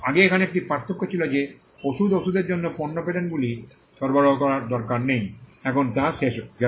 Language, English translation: Bengali, Earlier, there was a distinction that product patents need not be granted for drugs and pharmaceuticals, now that is gone